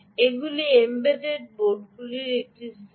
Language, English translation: Bengali, that is, these are one set of embedded boards